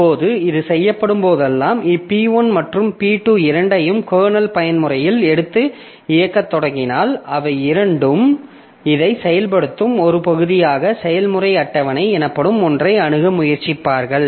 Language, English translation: Tamil, Now, whenever this is done, so if I allow both P1 and P2 to come into kernel mode and start executing, then both of them as a part of executing this fork, so they will try to access something called the process table